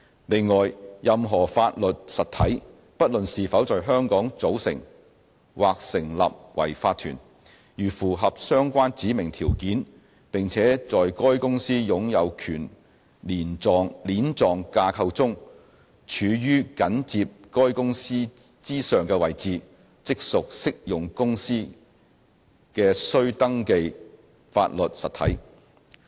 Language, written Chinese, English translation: Cantonese, 另外，任何法律實體，不論是否在香港組成或成立為法團，如符合相關指明條件，並且在該公司擁有權鏈狀架構中處於緊接該公司之上的位置，即屬適用公司的須登記法律實體。, Besides a legal entity whether it is formed or incorporated in Hong Kong is a registrable legal entity of an applicable company if it meets the specified conditions and if it is a legal entity immediately above the company in the companys ownership chain